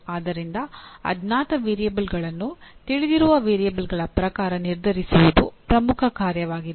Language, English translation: Kannada, So the major task is to determine the unknown variables in terms of known variables